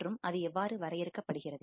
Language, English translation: Tamil, and how it is defined